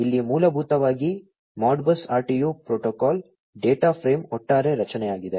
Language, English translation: Kannada, So, here is basically the overall structure of the Modbus RTU protocol data frame